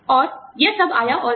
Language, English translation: Hindi, And, all of this came